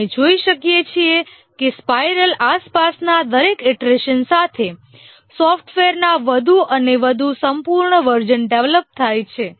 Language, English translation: Gujarati, We can see that with each iteration around the spiral, more and more complete versions of the software get built